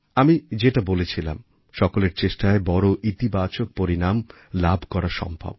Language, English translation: Bengali, As I've said, a collective effort begets massive positive results